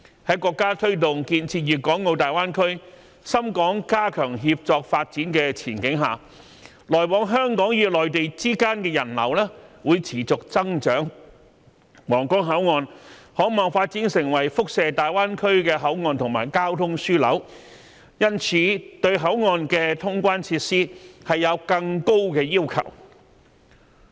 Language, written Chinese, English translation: Cantonese, 在國家推動建設粵港澳大灣區、深港加強協作發展的前景下，來往香港與內地之間的人流會持續增長，皇崗口岸可望發展成為輻射大灣區的口岸和交通樞紐，因此對口岸的通關設施有更高的要求。, As the country is pressing ahead with the establishment of the Guangdong Hong Kong and Macao Greater Bay Area and the enhancement of the collaborative development between Shenzhen and Hong Kong the passenger flow between Hong Kong and the Mainland will continue to grow . As it is expected that the Huanggang Port can be developed into a land route port and a transport hub for reaching the Greater Bay Area therefore it requires a higher level of clearance facilities